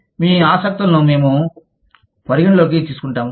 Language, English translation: Telugu, We will take your interests, into account